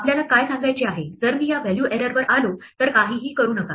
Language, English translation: Marathi, What we want to say is, if I come to this value error do nothing